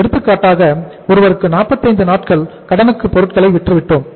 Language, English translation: Tamil, Say for example we have sold to somebody for a credit period of 45 days